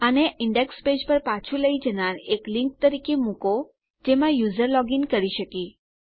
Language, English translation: Gujarati, Put this as a link back to out index page in which the user could login